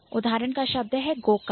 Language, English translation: Hindi, So the example is go kart